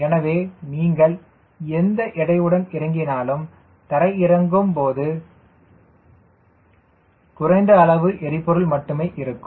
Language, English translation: Tamil, so whatever weight with which you are taking off when you come for landing, at least fuel is burnt, so the weight reduces